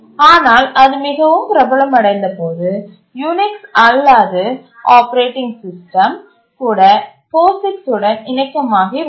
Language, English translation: Tamil, But then it became so popular that even the non unix operating system also became compatible to the POGICs